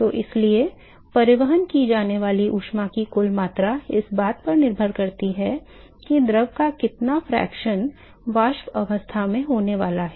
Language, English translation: Hindi, So, therefore, the net amount of heat that is transported, it depends upon what fraction of this fluid is going to be in the vapor state